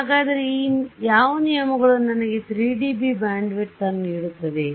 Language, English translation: Kannada, So, which of these terms is giving me the sort of 3 dB bandwidth